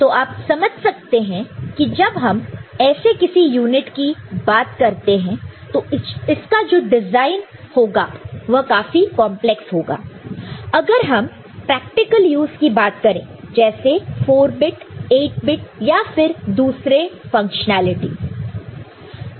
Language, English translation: Hindi, So, you can understand that when you are talking about such unit, it is relatively complex in design when you look for practical use of say using it for 4 bit, 8 bit kind of thing and many different functionalities are involved